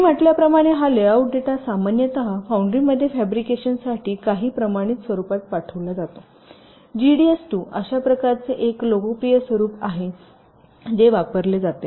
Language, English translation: Marathi, as i said, this layout data is is usually send in some standard format for fabrication in the foundry g d s to is one such very popular format which is used